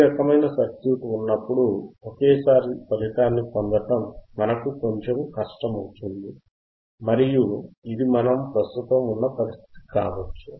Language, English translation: Telugu, When this kind of circuit is there, it will be difficult for us to get the result in one go and it may be the condition which we are infinding right now which we are in right now right